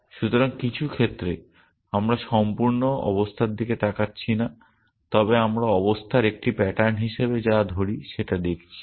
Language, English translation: Bengali, So, in some sense we are not looking at the complete state, but we are looking at what we call as a pattern in the state